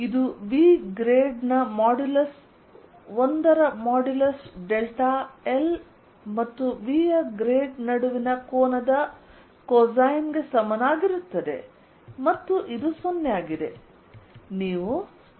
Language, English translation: Kannada, this is nothing but equal to modulus of grad of v, modulus of l, cosine of angel between delta l and grad of v, and this is zero, always zero